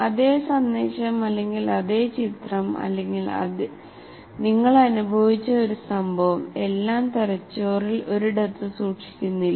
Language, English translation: Malayalam, The same message or a same picture or whatever an event that you have experienced, the entire thing is not stored in one place in the brain